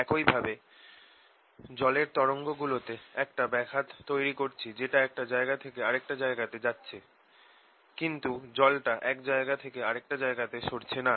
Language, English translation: Bengali, similarly, in water waves i create a disturbance that travels from one place to the other, but water does not go from one place to other